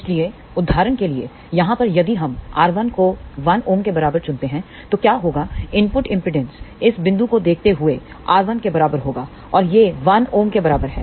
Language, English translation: Hindi, So, for example, over here if we choose R 1 equal to 1 ohm, then what will happen input impedance looking at this point is equal to R 1 and that would be equal to 1 ohm